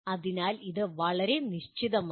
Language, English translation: Malayalam, So it is very specific